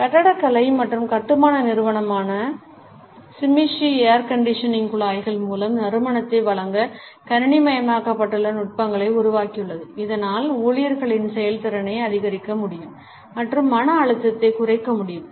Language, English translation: Tamil, The architectural and construction firm Shimizu has developed computerized techniques to deliver scents through air conditioning ducts, so that the efficiency of the employees can be enhanced and the stress level can be reduced